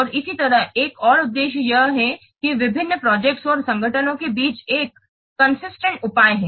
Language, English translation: Hindi, And similarly, another objective is it acts as a consistent measure among various projects and organizations